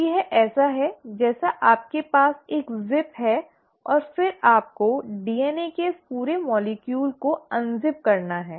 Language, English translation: Hindi, So it is like you have a zip and then you have to unzip this entire molecule of DNA